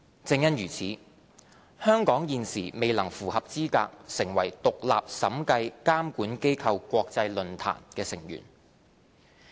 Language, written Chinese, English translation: Cantonese, 正因如此，香港現時未能符合資格成為獨立審計監管機構國際論壇的成員。, Exactly for this reason Hong Kong is ineligible to be represented on the International Forum of Independent Audit Regulators